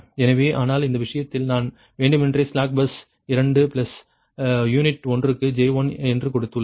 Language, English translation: Tamil, but in this case, in this case i have just given it intentionally that are slack bus to plus j one per unit, right